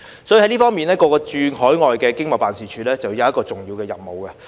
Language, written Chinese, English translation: Cantonese, 在這方面，各個駐海外經濟貿易辦事處便有重要的任務。, In this regard the various Hong Kong Economic and Trade Offices overseas have an important role to play